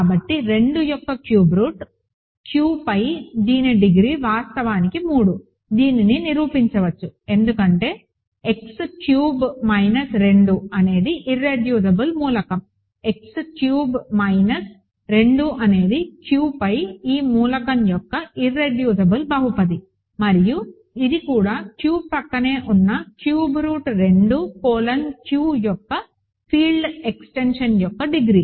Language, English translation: Telugu, So, cube root of 2, degree of this over Q is actually 3, one can prove this because x cubed minus 2 is an irreducible element, x cubed minus 2 is the irreducible polynomial of this element over Q and this is also Q adjoined cube root of 2 colon Q the degree of the field extension itself